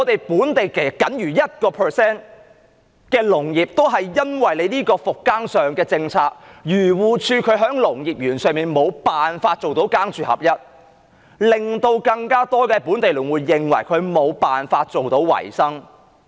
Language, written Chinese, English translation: Cantonese, 本地僅餘 1% 的農業，而因為復耕政策，因為漁農自然護理署在農業園上無法做到"耕住合一"，令到更多本地農戶無法維生。, We only have 1 % of local agriculture remains . Yet as a result of the rehabilitation policy and because the Agriculture Fisheries and Conservation Department fails to let farmers dwell in the farms within the agriculture parks more local farmers cannot survive